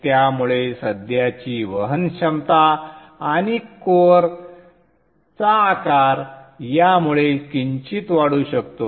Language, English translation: Marathi, So the current carrying capability and the size of the core may slightly increase because of this